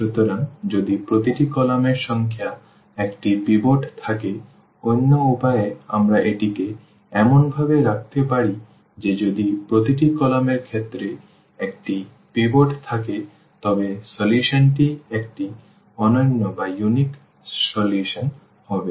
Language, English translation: Bengali, So, if the number of I mean each column has a pivot we can in other way we can put it as that if each column as a pivot in that case the solution will be a unique solution